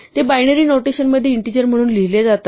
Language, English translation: Marathi, They are just written as integers in binary notation